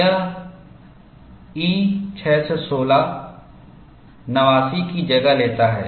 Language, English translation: Hindi, This replaces E 616 89